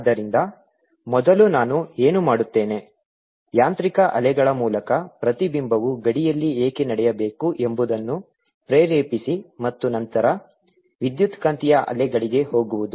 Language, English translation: Kannada, so first what i'll do is motivate why reflection should take place at a boundary through mechanical waves and then go over to electromagnetic waves